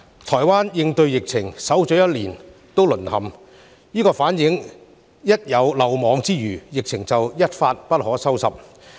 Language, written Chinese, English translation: Cantonese, 台灣應對疫情，守了一年仍告"淪陷"，這反映出一旦有漏網之魚，疫情便會一發不可收拾。, Taiwan has guarded against the epidemic for a year but still cannot prevent another outbreak . This shows that once a fish slips through the net the epidemic will get out of control